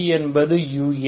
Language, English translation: Tamil, V is U eta